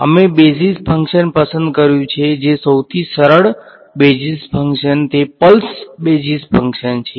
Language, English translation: Gujarati, So, we have chosen a basis function which are the simplest basis functions pulse basis functions